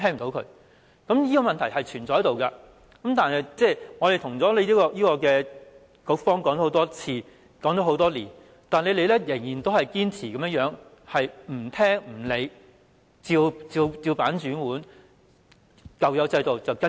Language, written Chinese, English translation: Cantonese, 這問題一直存在，我們多年來多次告知局方，但局方仍然堅持不聽取、不理會、"照辦煮碗"，只依循舊有的制度做事。, This problem has lingered on for so long . For years we have repeatedly drawn the Bureaus attention to the problem but it keeps on turning a deaf ear to us and following inflexibly the old system